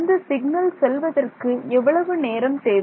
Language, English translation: Tamil, So, what is the time required for the signal to go